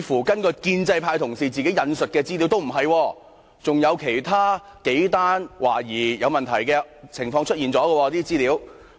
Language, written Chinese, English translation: Cantonese, 根據建制派同事自己引述的資料，似乎並不是，還有其他數宗懷疑有問題的個案曾經出現。, According to the information cited by the Honourable colleagues from the pro - establishment camp themselves it does not seem so . Several other suspicious cases have occurred before